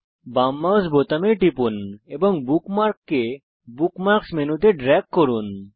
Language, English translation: Bengali, * Press the left mouse button, and drag the bookmark to the Bookmarks menu